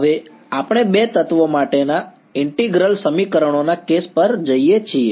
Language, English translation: Gujarati, Now, we go to the case of the integral equations for two elements right